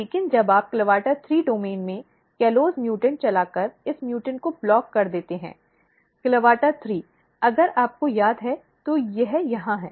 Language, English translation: Hindi, But when you block this movement by driving callose mutant in CLAVATA3 domain CLAVATA3, if you recall it is here